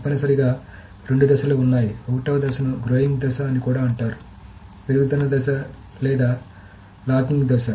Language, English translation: Telugu, In the phase 1, the phase 1 is also called the growing phase, growing or the locking phase